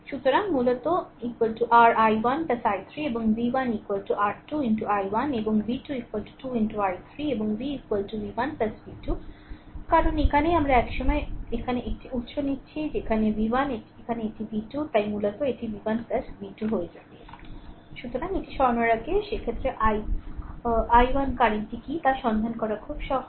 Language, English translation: Bengali, So, basically i is equal to your i 1 plus i 3 and v 1 is equal to your 2 into i 1 and v 2 is equal to 2 into i 3 and v is equal to v 1 plus v 2, because here it is because we are taking one source at a time here it is v 1 here it is v 2 so, basically it will become v 1 plus v 2 right So, before moving this; so in this case it is very easy to find out what is the i 1 current